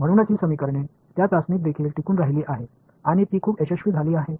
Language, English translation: Marathi, So, that is why so these equations survive that test also and they have been very very successful